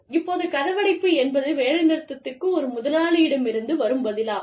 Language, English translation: Tamil, Now, lockout is the response of an employer, to a potential strike